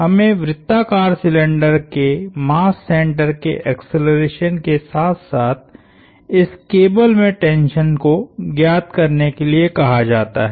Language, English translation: Hindi, We are asked to find the acceleration of the mass center of the circular cylinder as well as the tension in this cable